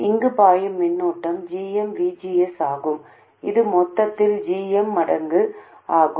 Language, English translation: Tamil, The current flowing here is GM times BGS which is GM times this whole thing